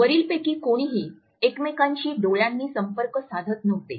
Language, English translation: Marathi, Neither one of them really makes eye contact